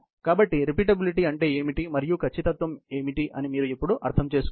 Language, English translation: Telugu, So, you now understand what is repeatability, and what is accuracy